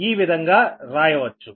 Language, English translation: Telugu, this is taken this way